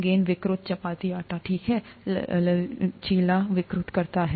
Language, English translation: Hindi, The ball distorts, the chapati dough, okay, flexible, distorts